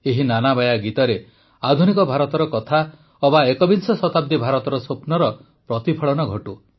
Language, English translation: Odia, In these lullabies there should be reference to modern India, the vision of 21st century India and its dreams